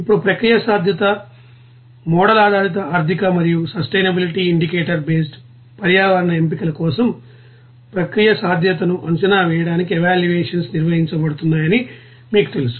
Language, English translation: Telugu, Now for the selection of process feasibility, model based economic and sustainability, indicator based, environmental you know evaluations are perform to assess the process viability